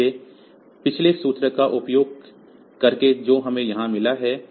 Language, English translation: Hindi, So, using the previous formula that we have got here